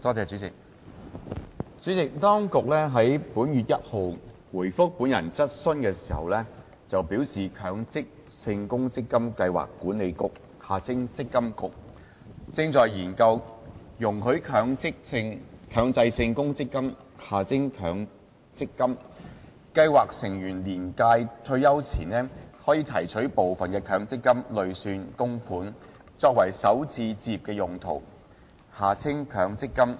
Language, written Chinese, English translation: Cantonese, 主席，當局於本月1日回覆本人質詢時表示，強制性公積金計劃管理局正研究，容許強制性公積金計劃成員年屆退休前，提取部分強積金累算供款，作首次置業用途。, President in reply to my question on the 1 of this month the authorities indicated that the Mandatory Provident Fund Schemes Authority MPFA was conducting a study on allowing Mandatory Provident Fund MPF Schemes members to withdraw part of their MPF accumulated contributions before attaining the retirement age for first home purchase